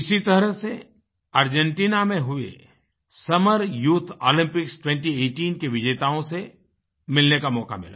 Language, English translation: Hindi, Similarly, I was blessed with a chance to meet our winners of the Summer youth Olympics 2018 held in Argentina